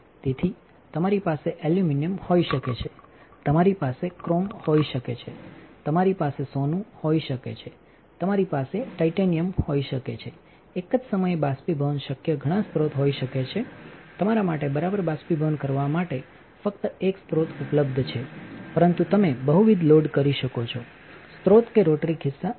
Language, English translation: Gujarati, So, you can have aluminum, you can have chrome, you can have gold, you can have titanium there can be multiple sources possible to evaporate at a single time only one source is available for you to evaporate all right, but you can load multiple sources that is advantage of rotary pocket